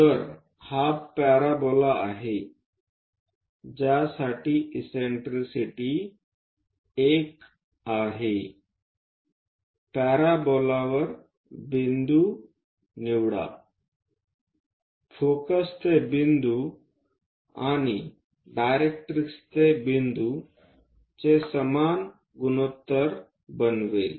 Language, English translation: Marathi, So, this is the parabola for which eccentricity is 1 that means, pick any point on parabola focus to point and directrix to that point makes equal ratio